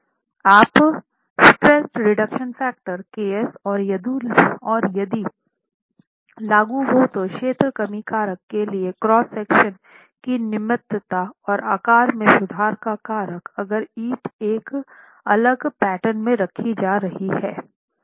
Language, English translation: Hindi, You estimate the stress reduction factor KS and if applicable the area reduction factor to account for smallness of the cross section and the shape modification factor if the bricks are being laid in a different pattern